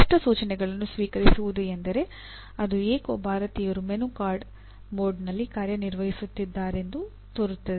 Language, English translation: Kannada, Receive clear instructions means somehow Indians seem to be operating in a menu card mode